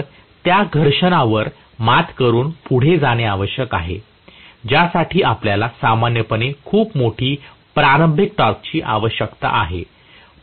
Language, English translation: Marathi, So, it has to overcome that friction and start moving, for which you require a very very large starting torque normally